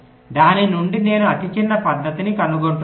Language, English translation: Telugu, out of that i am finding the smallest method right